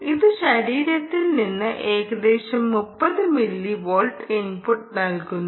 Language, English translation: Malayalam, so it gives as an input of about thirty millivolts ah at the from the body